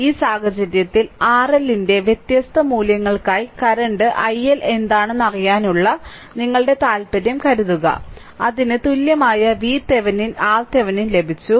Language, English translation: Malayalam, But in this case, suppose our interest to find out what is current i L for different values of R L, then equivalent V Thevenin and R Thevenin we have got